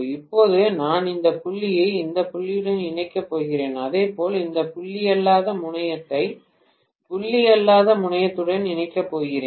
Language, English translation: Tamil, Now, I am going to connect this dot with this dot and similarly, I am going to connect this non dot terminal with that of the non dot terminal